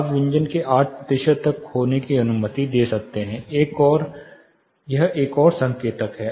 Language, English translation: Hindi, You can allow up to loss of 8 percent loss of consonants, this is another indicator